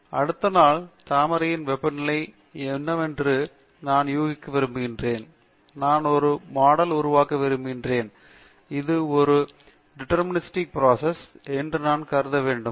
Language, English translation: Tamil, Suppose, I want to predict what will be the temperature of the beaver the following day; I want build a model, should I treat this as a deterministic process